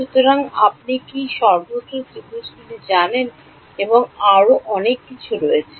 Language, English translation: Bengali, So, there are you know triangles everywhere and so on